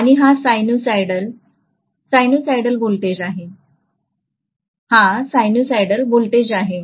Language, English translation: Marathi, And this is a sinusoid, sinusoidal voltage, this is going to be a sinusoidal voltage, okay